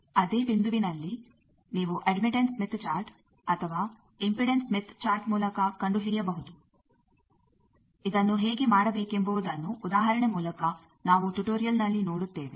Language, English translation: Kannada, At same point you can find out either by admittance smith chart or by impedance smith chart, we will see an example in the tutorial how to do this